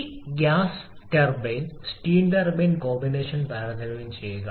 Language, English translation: Malayalam, Just compare the gas turbine steam turbine combination